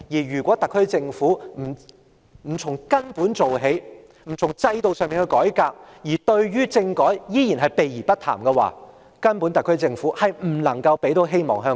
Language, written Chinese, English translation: Cantonese, 如果特區政府不從根本做起，不從制度上改革，對政改依然避而不談的話，特區政府根本不能為香港人帶來希望。, If the SAR Government does not tackle the problem at root and reform the system and if it keeps evading the discussion of constitutional reform the SAR Government can in no way bring hopes to the people of Hong Kong